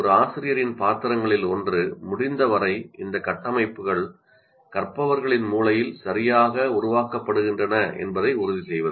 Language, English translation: Tamil, So it is necessary that one of the role of the feature is to ensure to as far as possible these constructs are made correctly or are created correctly in the brains of the learners